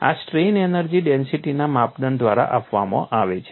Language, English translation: Gujarati, This is given by strain energy density criterion